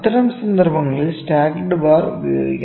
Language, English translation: Malayalam, In that case stacked bar can be used, ok